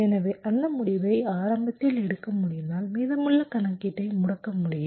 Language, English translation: Tamil, so if i can take that decision early enough, then i can disable the remaining computation